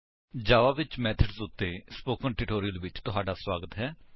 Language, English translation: Punjabi, Welcome to the Spoken Tutorial on methods in java